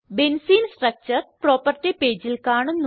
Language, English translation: Malayalam, Benzene structure is displayed on the property page